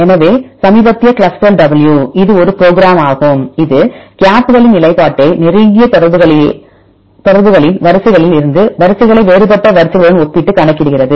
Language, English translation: Tamil, So, latest one is the ClustalW, this is a program which uses the positioning of the gaps also in the closely related sequences compared with the more distant ones